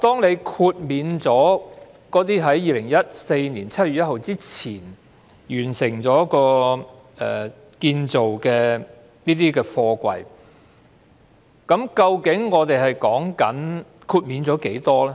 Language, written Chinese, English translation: Cantonese, 如果在2014年7月1日前完成建造的貨櫃可獲豁免，究竟豁免了多少貨櫃呢？, If containers constructed before 1 July 2014 can be exempted how many containers will be exempted?